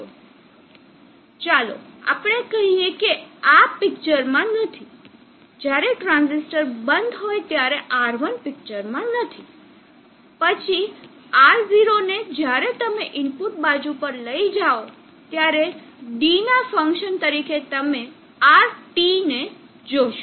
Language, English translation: Gujarati, Now let us say this is not there in the picture, R1 is not in the picture when the transistor is off, then Ro when you take it on to the input side as a function of D you will see RT